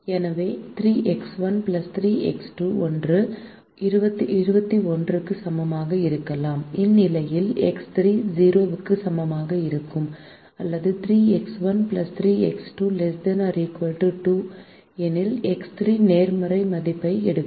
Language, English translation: Tamil, therefore, three x one plus three x two can either be equal to twenty one, in which case x three will be equal to zero, or if three x one plus three x two is less than twenty one, then x three will take a positive value